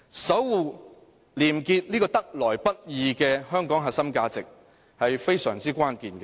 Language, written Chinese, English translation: Cantonese, 守護"廉潔"這個得來不易的香港核心價值，是非常關鍵的。, Safeguarding the hard - earned core value of probity is of critical importance